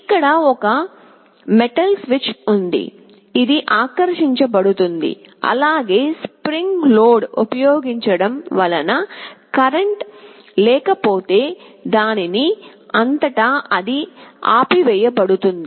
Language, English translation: Telugu, There is a metal switch, which gets attracted and if there is no current using spring loading it turns off